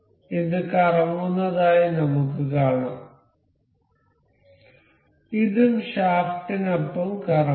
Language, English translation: Malayalam, So, we can see this as rotating and this is also rotating with this along the shaft